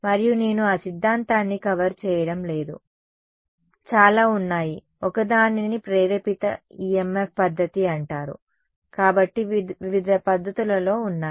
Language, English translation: Telugu, And I am not covering those theory there is a lot of one is called induced EMF method so, on various methods are there ok